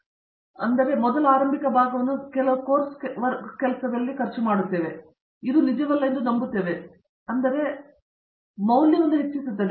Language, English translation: Kannada, So, the first initial portion is spent in some amount of course work, which we believe actually it no, it adds value over the life time anyway